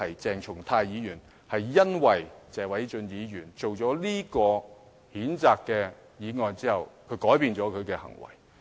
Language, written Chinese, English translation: Cantonese, 鄭松泰議員是因為謝偉俊議員提出這項譴責議案而改變了他的行為。, It was because Mr Paul TSE had introduced this motion of censure that Dr CHENG Chung - tai changed his behaviour